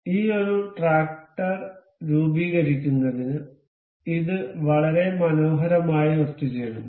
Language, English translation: Malayalam, This is been very beautifully assembled to form this one tractor